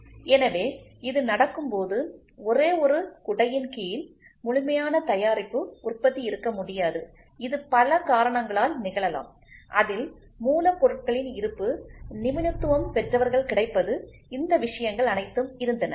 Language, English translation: Tamil, So, when this has to happen, the complete product manufacturing could not happen and one under one umbrella, due to several reasons available of raw material then availability of expertise all these things were there